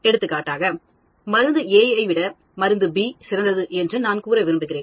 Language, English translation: Tamil, For example, I want to say drug A is better than drug B